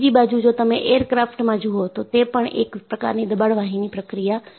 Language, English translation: Gujarati, On the other hand, if you go to aircrafts, they are again pressurized vessels